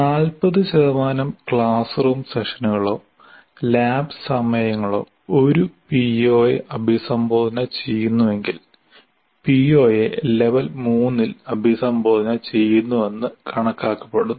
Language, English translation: Malayalam, For example, if more than 40% of classroom sessions or lab hours addressing a particular PO, it is considered that PO is addressed at level 3